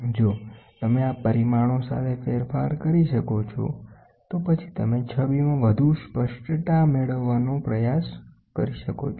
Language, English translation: Gujarati, If you can play with these parameters, then you can try to get more clarity in the image